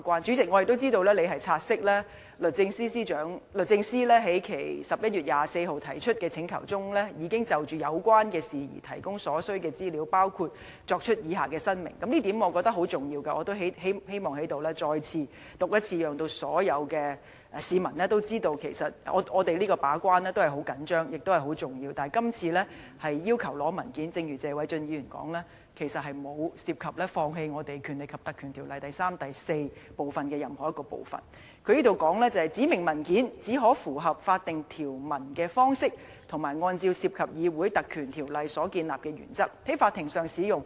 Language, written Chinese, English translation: Cantonese, 我們也知道，主席亦察悉律政司已在11月24日提出的請求中，就有關事宜提供所需的資料，包括作出以下申明——我認為這一點十分重要，亦希望在這裏讀出，讓所有市民知道我們對於把關十分重視，亦明白是十分重要的，而且正如謝偉俊議員所說，這次律政司要求索取文件，並不代表我們放棄《條例》第3條及第4條的任何一個部分——"指明文件只可以符合法定條文的方式及按照涉及議會特權的案例所建立的原則，在法庭上使用。, As we may be aware the President also noticed that DoJ has already provided the necessary information in the letter dated 24 November which includes the following elaboration―I opine that this is a very important point and thus would like to read it out so that members of the public would realize how much importance we have attached to our gate - keeping role and understand the importance of the matter . And just as Mr Paul TSE has said acceding to the request of DoJ to submit documents does not mean that we have forgone any part of sections 3 and 4 of the Ordinance―the specified documents may only be used in court in a manner consistent with the statutory provisions in light of the principles developed in decided cases governing parliamentary privilege